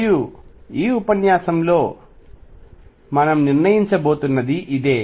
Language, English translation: Telugu, And this is what we are going to determine in this lecture